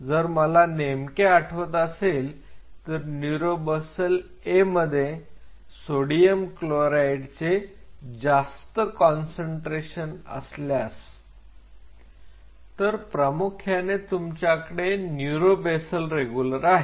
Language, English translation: Marathi, If I exactly recollect there is a small if there is a higher concentration of sodium chloride in neuro basal A